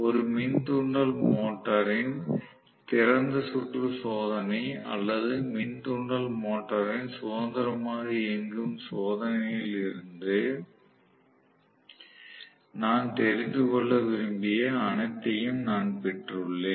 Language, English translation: Tamil, So, I have got all that I wanted to know all those from open circuited test of an induction motor or free running test of an induction motor